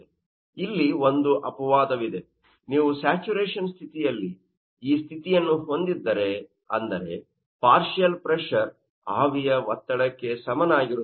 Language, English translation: Kannada, But there is an exceptional condition, if you are having this condition at you know, saturation condition that means, partial pressure will be equal to vapour pressure